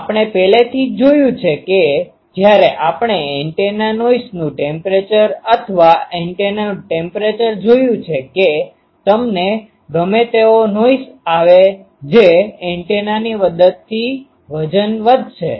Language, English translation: Gujarati, Now, we have already seen when we have seen the antenna noise temperature or antenna temperature that whatever noise you are getting that gets waited by the gain of the antenna